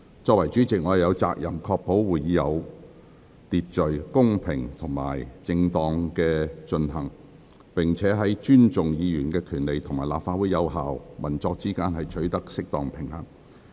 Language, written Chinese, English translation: Cantonese, 作為主席，我有責任確保會議有秩序、公平及正當地進行，並在尊重議員權利與立法會有效運作之間，取得適當平衡。, As President I am duty - bound to ensure the orderly fair and proper conduct of meetings and to strike an appropriate balance between respecting Members rights and the effective operation of the Legislative Council